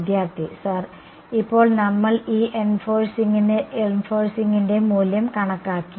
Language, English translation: Malayalam, Sir, now we calculated value by of these enforcing